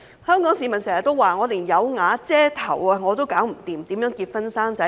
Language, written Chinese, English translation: Cantonese, 香港市民經常說連有瓦遮頭也做不到，更何況結婚生子。, Hong Kong people often say that they cannot even afford a shelter let alone to get married and have children